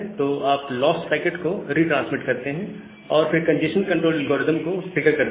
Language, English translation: Hindi, So, you retransmit the lost packet, and then trigger the congestion control algorithm